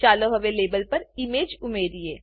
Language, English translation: Gujarati, Let us now add the image to the label